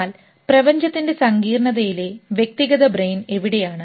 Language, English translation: Malayalam, But where is the individual brain in the complexity of universe